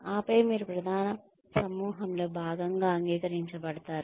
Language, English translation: Telugu, And then, you are accepted as part of the main group